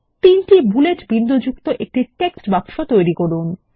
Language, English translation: Bengali, Create a text box with three bullet points